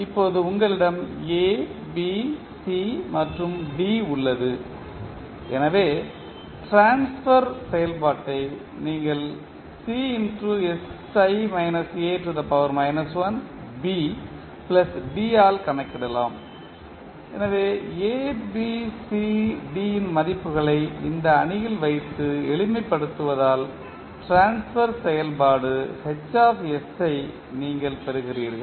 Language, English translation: Tamil, Now, you have A, B, C and D so the transfer function you can simply calculate that is sI minus A inverse B plus D so put the values of A, B, C, D in this matrix and simplify you get the transfer function Hs